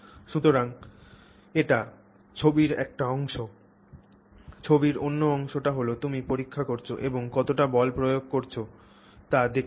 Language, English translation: Bengali, Other part of the picture is you do the experimental test and you see how much force you have applied